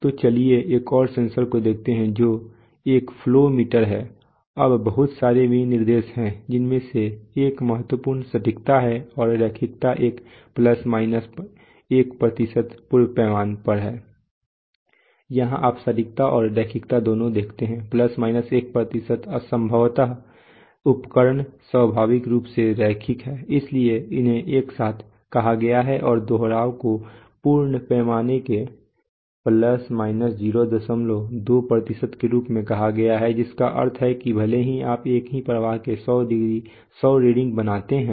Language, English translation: Hindi, So let us look at another sensor which is a flow meter, now there are so many specifications the important one such accuracy and linearity is one ± 1% full scale here you see accuracy and linearity are both ± 1% possibly the instrument is inherently linear, so therefore they are stated together see repeatability is stated as ± 0